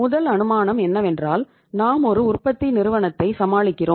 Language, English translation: Tamil, First assumptions, first assumption is that we are dealing with a manufacturer, manufacturing firm